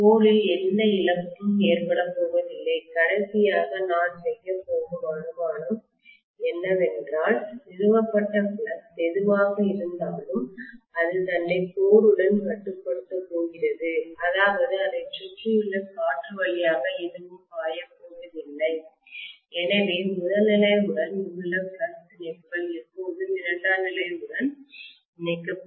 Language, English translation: Tamil, I am not going to have any losses in the core and the last assumption that I am going to make is, whatever is the flux established that is going to completely confined itself to the core that means nothing is going to flow through the air surrounding it, so whatever flux links with the primary will always linked with the secondary and vice versa